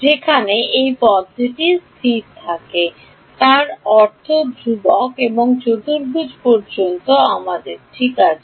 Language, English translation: Bengali, Where this term has constant, I mean constant and quadratic up to quadratic is what we have to do ok